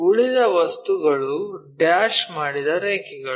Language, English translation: Kannada, The remaining things are dashed lines